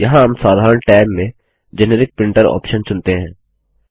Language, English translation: Hindi, Here we select the Generic Printer option in General Tab